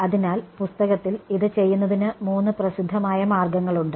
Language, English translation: Malayalam, So, in the literature there are three popular ways of doing this